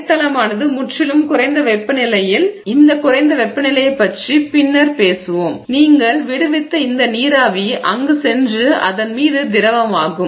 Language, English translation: Tamil, If the substrate is at a distinctly lower temperature, so and we will talk about this lower temperature, distinctly lower temperature, then this vapor that you have released will go on condense on it